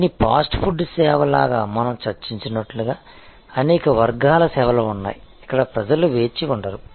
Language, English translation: Telugu, But, there are many categories of services as we discussed like this fast food service, where people will not wait